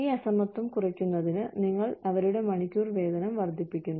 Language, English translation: Malayalam, To reduce this disparity, you increase their hourly wage